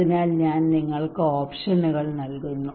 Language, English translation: Malayalam, So I am giving you options okay